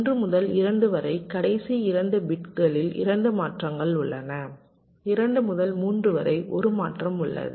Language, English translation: Tamil, there are two transitions in the last two bits from two to three